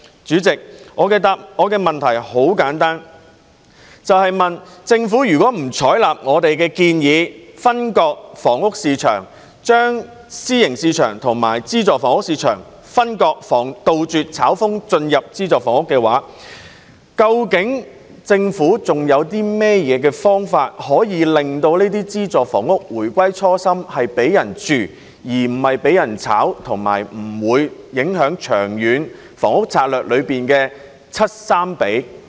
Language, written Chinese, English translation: Cantonese, 主席，我的問題很簡單，政府如果不採納我們的建議分割房屋市場，將私人住宅市場和資助房屋市場分割，杜絕"炒風"進入資助房屋市場，究竟政府還有何方法令資助房屋回歸"房屋是給人居住而不是用來炒賣"的初心，而且不會影響《長遠房屋策略》的 70:30 比例呢？, President my question is very simple . If the Government will not adopt our proposal to segregate the housing market that is separating the private residential market from the subsidized housing market so as to stop speculative activities entering the subsidized housing market what other means does the Government have to enable subsidized housing to serve its original purpose of providing homes for living and not speculation and that these means will not affect the 70col30 publicprivate split of new housing supply under the Long Term Housing Strategy?